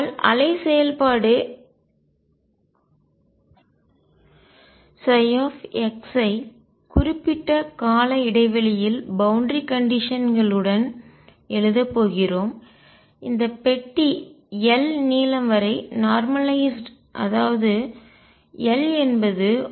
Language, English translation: Tamil, And therefore, we are going to write wave function psi x with periodic boundary conditions and box normalized over this length L as 1 over root L e raise to i k x